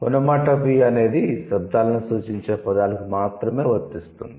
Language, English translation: Telugu, Onomatopoeia can only apply to the words that designate sounds